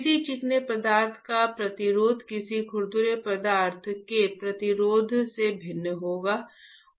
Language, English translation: Hindi, A resistance of a smooth material would be different than the resistance of a rough material